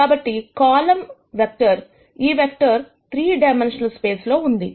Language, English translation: Telugu, So, this is a vector in a 3 dimensional space